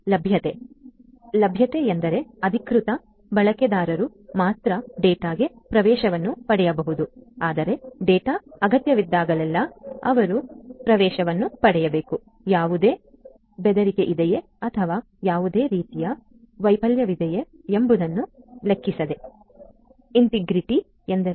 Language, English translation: Kannada, So, availability means that only the authorized users must guest access to the data, but they must get access to the data whenever IT is required; irrespective of whether there is any threat or there is any of any kind